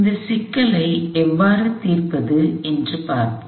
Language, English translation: Tamil, Let us see, how to solve this problem